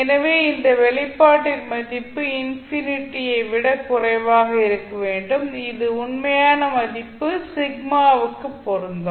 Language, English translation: Tamil, So that means the value of this expression should be less than infinity and this would be applicable for a real value sigma